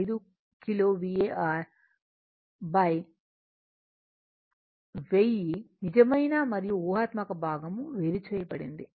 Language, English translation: Telugu, 5 kilo var divided by 1000 separate real and imaginary part right